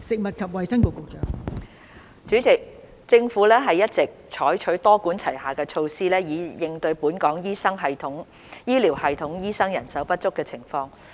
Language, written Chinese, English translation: Cantonese, 代理主席，政府一直採取多管齊下的措施以應對本港醫療系統醫生人手不足的情況。, Deputy President the Government has been adopting a multi - pronged approach to address the shortage of doctors in our healthcare system